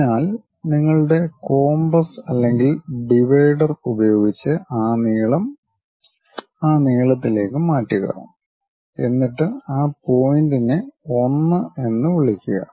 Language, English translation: Malayalam, So, use your compass or divider whatever that length transfer that length to here, then call that point as 1